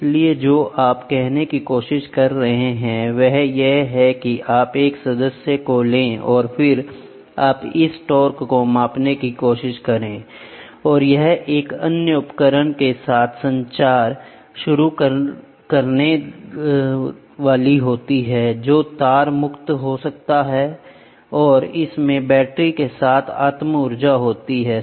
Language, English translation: Hindi, So, what you are trying to say is we are trying to say you take a member and then you try to stick this torque measuring and this will start communicating with another instrument which is wireless and it has a self energized with the battery